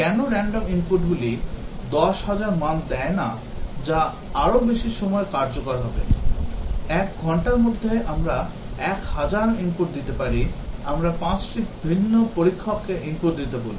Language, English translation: Bengali, Why not give random inputs 10,000 values and that would be much more time effective; in an hour, we can give 1,000 inputs may be we will ask 5 different testers to give keep on giving inputs